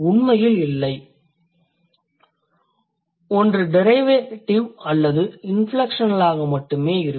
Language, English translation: Tamil, The fourth one is also related to derivational and inflectional things